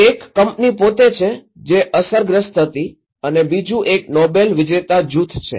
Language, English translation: Gujarati, One is the company itself, who were affected and other one is a group of Nobel laureate